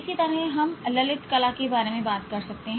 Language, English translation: Hindi, Same thing we can talk about fine arts